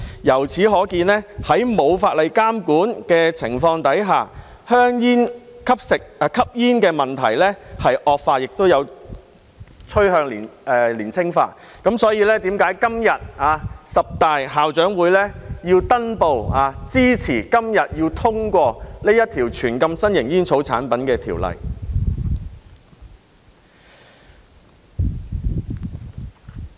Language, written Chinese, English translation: Cantonese, 由此可見，在沒有法例監管的情況下，吸煙的問題惡化，並趨向年青化，這正是為何十大校長會登報支持今天通過這項全面禁止新型煙草產品的《條例草案》。, This shows that in the absence of regulation in law the problem of smoking has worsened with a downward trend in the age of young smokers . It is precisely why 10 major school head associations have put up an advertisement in the newspaper to support the passage of this Bill today to impose a total ban on novel tobacco products